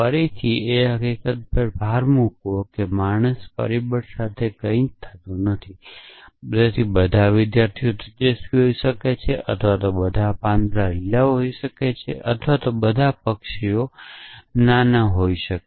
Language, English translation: Gujarati, Again to emphasis the fact that it has nothing do with the factor it is man or it is mortal, it could be all students have bright or all leafs are green or all birds are small anything